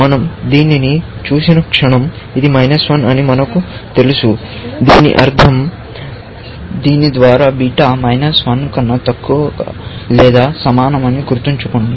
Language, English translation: Telugu, The moment we see this, we know that this is minus 1, and by this, you remember that beta is less than equal to minus 1